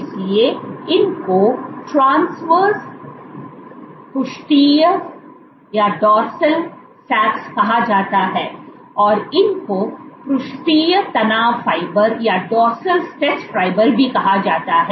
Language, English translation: Hindi, So, these ones are called transverse dorsal arcs, these ones are called dorsal stress fibers